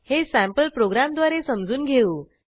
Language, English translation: Marathi, We will look at sample program